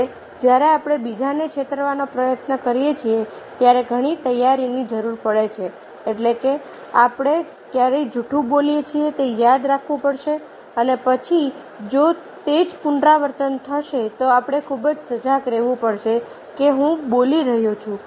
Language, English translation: Gujarati, now, when we try to deceive others, lots of preparation are required, means we have to remember when we are telling a lie and then next time if the same is repeated, then we have very, very conscious that ah, whether i am speaking the same thing